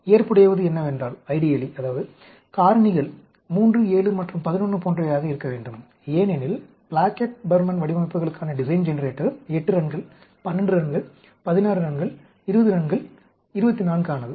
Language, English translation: Tamil, Ideally, if the factors are like 3, 7 and 11 and so on, because the design generator for Plackett Burman designs are meant for 8 runs, 12 runs, 16 runs, 20 runs, 24